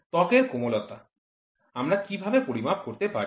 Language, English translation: Bengali, Softness of a skin, how do we measure